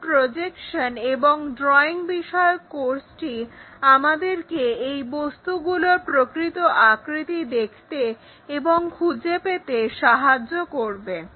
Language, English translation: Bengali, The projections and the drawing course help us to visualize, to find out these object true shapes